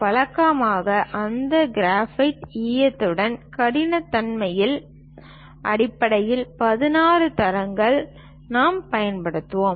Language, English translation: Tamil, Usually, 16 grades based on the hardness of that graphite lead we will use